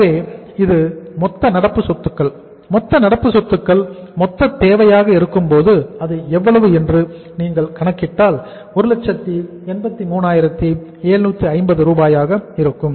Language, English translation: Tamil, So this is the total current assets, total current assets is going to be the total requirement which is how much if you calculate this sum it up it will work out as 183,750 Rs